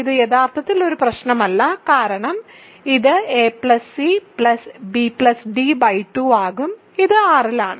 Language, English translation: Malayalam, So, this is actually not a problem because it will be a plus c plus b plus d by 2; this is in R